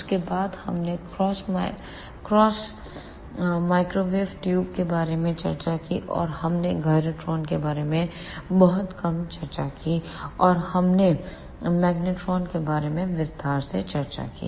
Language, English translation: Hindi, After that we discussed about crossed field microwave tubes, and we discussed little bit about gyrotrons, and we discussed magnetron in detail